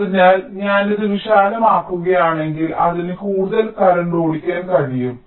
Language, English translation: Malayalam, so if i make it wider, it can drive more current